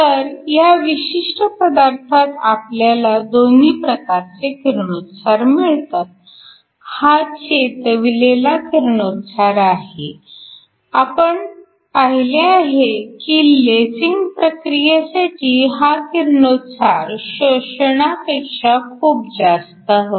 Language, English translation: Marathi, So, in this particular material you have both emission, which is your stimulated emission and we saw that for lasing action this emission much be more than the absorption